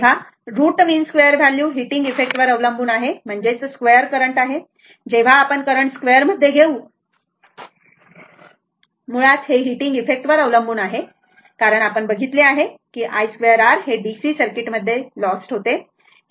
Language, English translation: Marathi, So, root mean square value depends on the heating effect that is square of the current as soon as we are taking in terms of square of the current basically, it depends on the heating effect because i square r we have seen, i square r is lost in the DC circuit